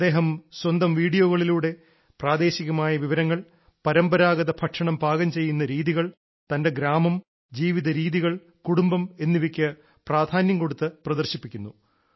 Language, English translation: Malayalam, In his videos he shows prominently the local dishes, traditional ways of cooking, his village, his lifestyle, family and food habits